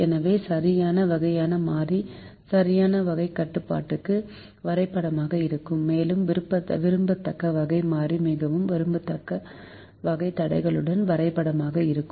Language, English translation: Tamil, so the correct kind of variable will map to a correct type of constraints and the, the not so desirable type of variable, will map to a not so desirable type of constraints